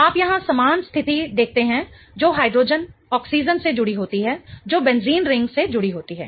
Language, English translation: Hindi, You see a very similar situation here which is hydrogen attached to an oxygen which is attached to the benzene ring